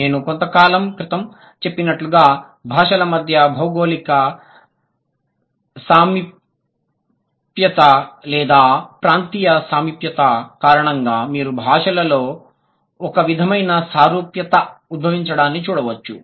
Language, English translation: Telugu, As I have just mentioned a while ago, because of the geographical proximity or the regional proximity among languages you might see some sort of similarity emerging within the languages